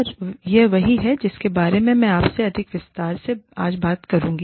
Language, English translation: Hindi, And, this is what, i will talk about to you, in much greater detail, today